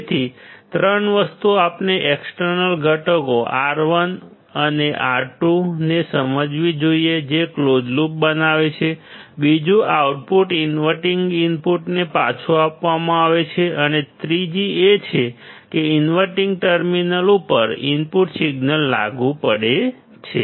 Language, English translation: Gujarati, So, three things we have to understand external components R 1 and R 2 that forms a closed loop, second output is fed back to the inverting input and third is that input signal is applied to the inverting terminal